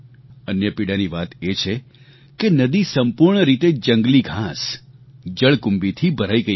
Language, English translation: Gujarati, The second painful fact was that the river was completely filled with wild grass and hyacinth